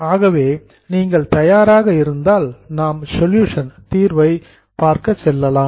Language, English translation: Tamil, So if you are ready, we will go to the solution